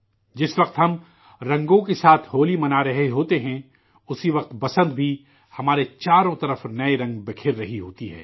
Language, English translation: Urdu, When we are celebrating Holi with colors, at the same time, even spring spreads new colours all around us